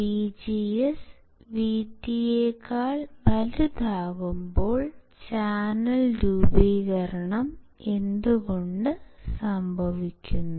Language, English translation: Malayalam, But when my VGS is greater than VT, then there will be formation of channel